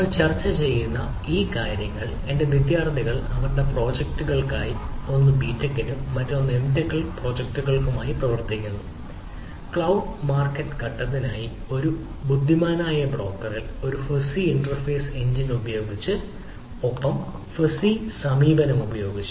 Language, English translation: Malayalam, this particular ah things which we are discussing is to of my students work for their ah projects one for b tech and one for m tech projects on working on an intelligent ah um ah broker for cloud market phase, using ah a fuzzy approach, using a fuzzy inference engine